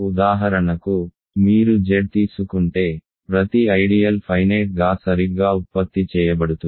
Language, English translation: Telugu, For example, if you take Z, every ideal is finitely generated right